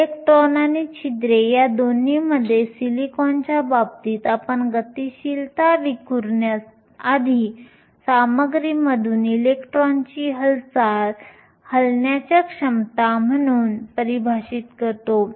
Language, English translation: Marathi, In the case of silicon for both electrons and holes, we define mobility as the ability of the electron to move through the material before being scattered